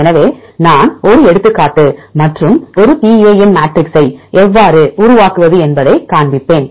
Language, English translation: Tamil, So, I will show an example and how to construct a PAM matrix